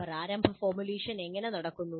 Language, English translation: Malayalam, So how does the initial formulation take place